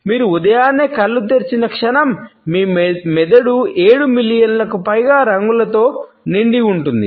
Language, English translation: Telugu, Moment you open your eyes in the morning, your brain is flooded with over seven million colors